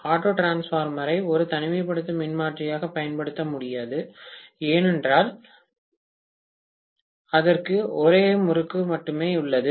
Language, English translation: Tamil, Auto transformer cannot be used as an isolation transformer because it has only one winding